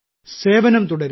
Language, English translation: Malayalam, Just keep serving